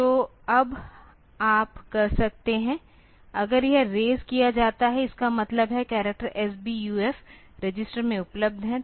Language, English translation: Hindi, So, now you can, if this is raised; that means, the character is available in the S BUF register